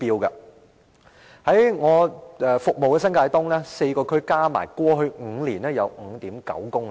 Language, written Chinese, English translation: Cantonese, 在我服務的新界東的4個區內，在過去5年合計有 5.9 公里。, In the four districts in New Territories East which I serve a total length of 5.9 km were completed in the past five years